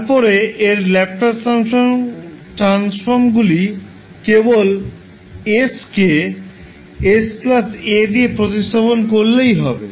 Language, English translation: Bengali, So which is nothing but the Laplace transform form having s being replace by s plus a